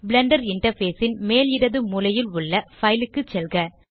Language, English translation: Tamil, Go to File at the top left corner of the Blender interface